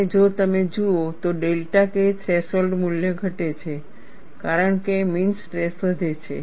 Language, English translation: Gujarati, 75 and if you look at, the delta K threshold value decreases as the mean stress is increased